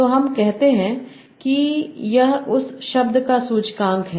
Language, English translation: Hindi, So let us see this is the index of that word